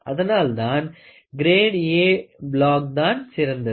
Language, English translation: Tamil, So, A block grade is much better than B grade